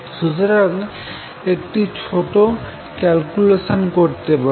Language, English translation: Bengali, So you can do a little calculation